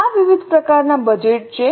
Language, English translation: Gujarati, These are the various types of budgets